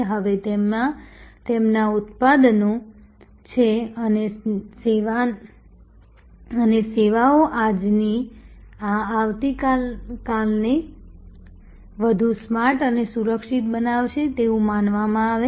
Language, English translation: Gujarati, Now, their products are and the services are supposed to make the cars of today and of tomorrow smarter and safer